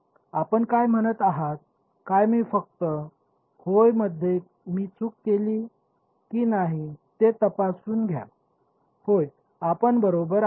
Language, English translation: Marathi, Is what you are saying let me just check if I made a mistake in yeah you are right the yeah